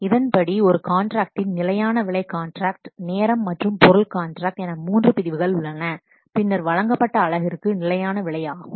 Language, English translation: Tamil, According to this, there are three categories of contracts, fixed price contracts, time and material contracts, then fixed price per delivered unit